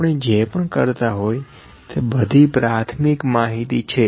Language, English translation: Gujarati, Whatever we have been doing that was primary data